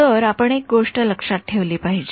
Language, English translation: Marathi, So you should remember one thing